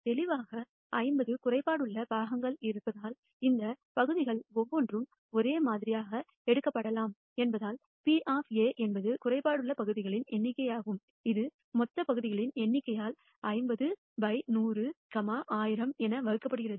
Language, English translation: Tamil, Clearly, because there are 50 defective parts and each of these parts can be uniformly picked, we know that the probability of A is the number of defective parts divided by the total number of parts which is 50 by 100, 1,000